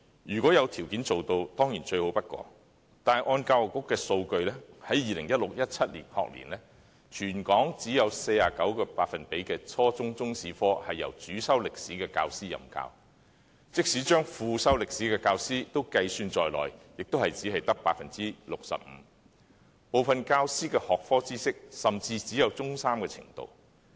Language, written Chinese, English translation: Cantonese, 如果有條件做到，當然是最好不過的，根據教育局的數據，在 2016-2017 學年，全港只有 49% 的初中中史科是由主修歷史的教師任教，即使將副修歷史的教師計算在內，也只有 65%， 部分教師的學科知識甚至只有中三程度。, It certainly is the most desirable course granting the enabling conditions . According to the Education Bureau figures in the 2016 - 2017 school year in Hong Kong only 49 % of the Chinese History classes at the junior secondary level were taught by teachers majoring in history; even counting those minoring in history there was only 65 % . Some teachers only have subject knowledge up to the Form Three level